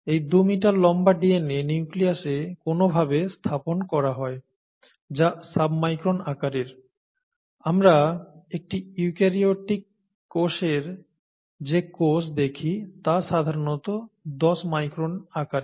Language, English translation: Bengali, The 2 metres long DNA is somehow packed into the nucleus which is sub sub micron sized, okay, the cell itself we saw was the the in a eukaryotic cell that is a typical size is 10 micron, right